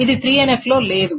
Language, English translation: Telugu, This is not in 3NF